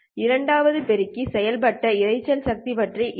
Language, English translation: Tamil, What about the noise power added by the second amplifier